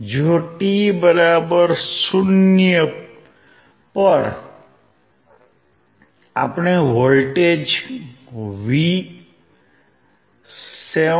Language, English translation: Gujarati, If at t=0 we apply voltage 7